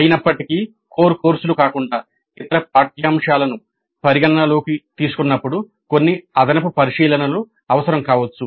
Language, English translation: Telugu, However, some additional considerations may be necessary when we consider curricular components other than the core courses